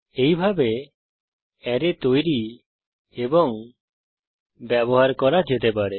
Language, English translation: Bengali, This way, arrays can be created and used